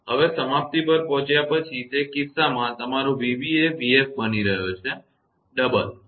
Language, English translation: Gujarati, Now, after arrival at the termination; in that case your v b is becoming v f; the double